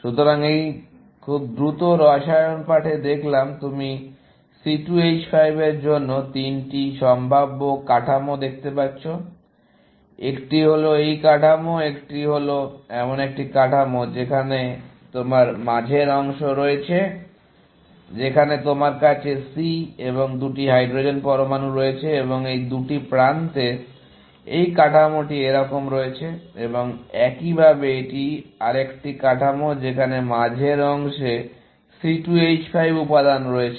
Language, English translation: Bengali, So, in this very quick chemistry lesson, you can see that three possible structures for C2 H5; one is this structure; one is a structure where, you have the middle part where, you have C and 2 hydrogen atoms, and the two edges contain this structure like this, and likewise, this is another structure where, the middle part has the C2 H5 component